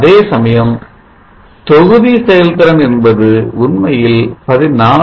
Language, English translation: Tamil, 5% and where are the module efficiency is actually 14